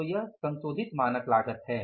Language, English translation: Hindi, So, this is the revised standard cost